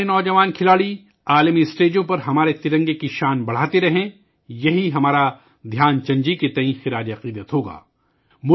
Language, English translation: Urdu, May our young sportspersons continue to raise the glory of our tricolor on global forums, this will be our tribute to Dhyan Chand ji